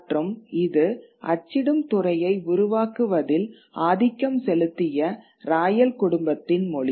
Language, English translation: Tamil, And it was the language of the royal family which predominated the creation of the printing industry